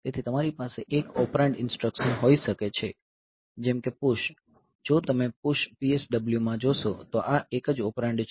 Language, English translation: Gujarati, So, you can have one operand instruction like say PUSH so, if you look into the push instruction PUSH P s w so, this is a single operand